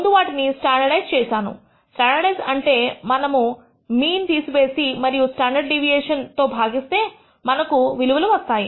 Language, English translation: Telugu, I first standardized them, standardization means we remove the mean and divide by the standard deviation and we get the values